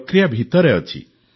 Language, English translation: Odia, It is in the process